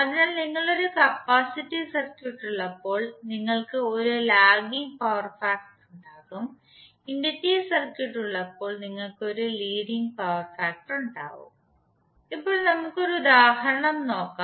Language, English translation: Malayalam, So in that case when you have capacitive circuit you will have leading power factor when you have inductive circuit when you will have lagging power factor